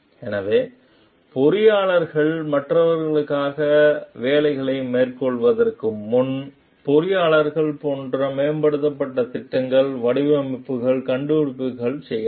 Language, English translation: Tamil, So, engineers before undertaking work for others in connection with which like the engineer may make improvements plans, the designs, inventions